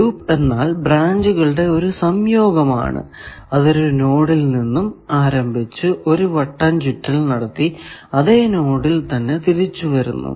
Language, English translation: Malayalam, Loop means, any branch, or a combination of branches, which is starting from a node and making a round trip, and coming back to the same node